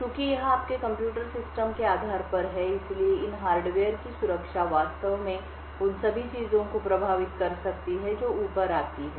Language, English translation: Hindi, Since this is at the base of your computer systems, the security of these hardware could actually impact all the things which come above